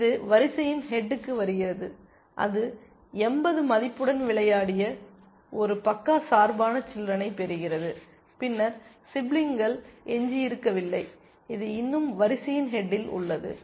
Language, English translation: Tamil, This comes to the head of the queue then, it gets a played biased child with a value of 80 then, there is no more siblings left, this is still at the head of the queue